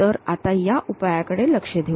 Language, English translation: Marathi, So, let us look at that solution